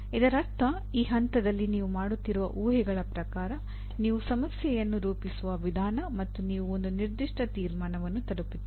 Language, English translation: Kannada, That means at this stage you are really finalizing in terms of the assumptions that you are making, the way you are formulating the problem, you reach a particular conclusion